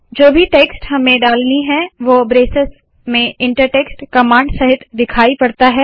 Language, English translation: Hindi, Whatever text we want to put appears in braces with an inter text command